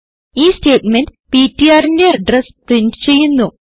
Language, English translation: Malayalam, This statement will print the address of ptr